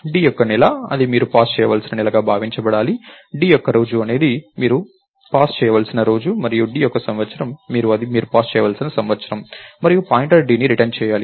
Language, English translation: Telugu, d's month, is supposed to be the month that you passed on, d's day is supposed to be the day that you passed on and d's year, is supposed to be the year that you passed on and return the pointer d, lets say we did this right